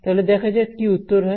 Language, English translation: Bengali, So, let see what the answer is